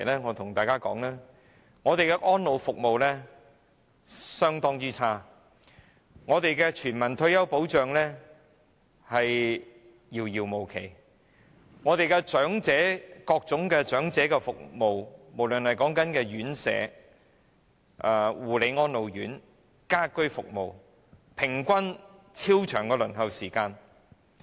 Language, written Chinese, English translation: Cantonese, 我向大家指出，本港的安老服務相當差，全民退休保障遙遙無期，各種長者服務，無論是院舍、護理安老院或家居服務的平均輪候時間也十分長。, I have to highlight to Members that in Hong Kong the elderly care services are rather poor universal retirement protection may not be realized in the foreseeable future and the average waiting time for various elderly services no matter residential care homes for the elderly care and attention homes for the elderly or ageing in place services is also very long